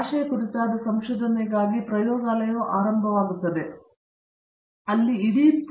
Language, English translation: Kannada, The laboratory for research on language begins where all laboratories end that is the whole world is laboratory for that